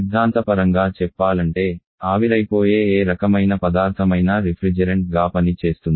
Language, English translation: Telugu, Theoretical speaking, any kind of substance which can evaporate can act as a refrigerant